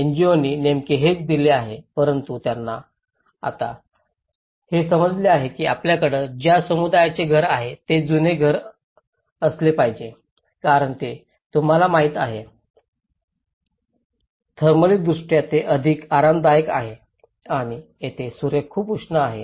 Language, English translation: Marathi, That is what exactly the NGOs have given but now, they are realizing that a community it is better have a old house because it is much more you know, thermally it is more comfortable and here, sun is very hot